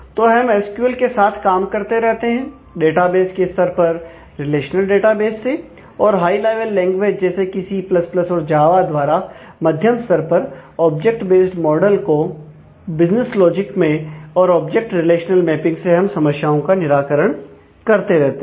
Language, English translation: Hindi, So, we continue to work with SQL, and the relational database kind of things in the database level, and some kind of a high level language like, C++, java and the object based model in the middle tarred in the in the business logic, and continue to do the object relational mapping for solving the problems